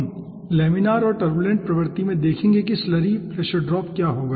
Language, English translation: Hindi, we will be seeing, in laminar and turbulent regime, what will be the slurry pressure drop